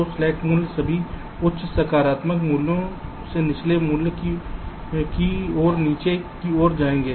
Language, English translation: Hindi, so slack values will all go towards the downward side, from a higher positive value to a lower values